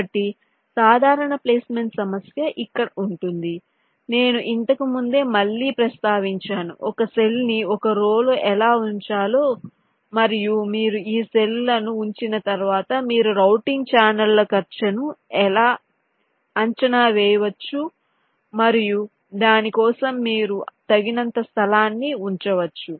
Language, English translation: Telugu, has i mention again earlier how to place a cell into one of the rows and once you are place this cells you can estimates the routing channels cost and you can keep adequate space for that